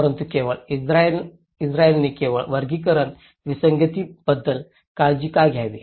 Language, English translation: Marathi, But why should only Israeli uniquely care about classificatory anomalies